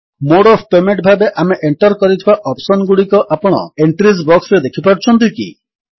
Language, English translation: Odia, Can you see the options that we entered as Mode of Payments in the Entries box